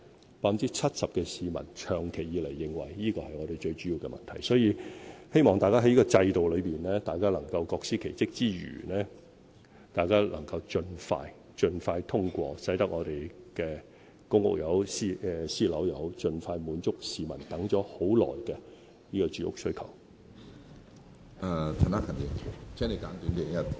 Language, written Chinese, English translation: Cantonese, 有 70% 的市民長期以來認為住屋是本港最主要的問題，所以，希望大家在這個制度內能夠各司其職之餘，亦能夠盡快通過建屋計劃，使本港的公屋或私人樓宇盡快落成，以滿足市民等待已久的住屋需求。, For a long time 70 % of the public think that housing is the most important problem in Hong Kong . Hence I hope that we can perform our respective functions under the system and that approval can be given expeditiously for housing development projects so that housing units public or private can be made available as soon as possible to fulfil the long - awaited housing needs of the people